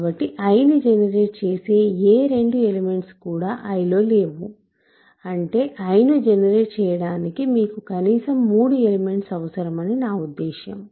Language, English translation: Telugu, So, that you take there are no 2 elements in I that generate I that is what I mean you need at least three elements to generate I